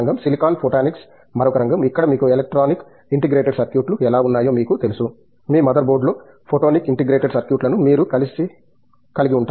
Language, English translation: Telugu, Silicon photonics is another area, where you know you can just like how you had the electronic integrated circuits you could have photonic integrated circuits where your mother board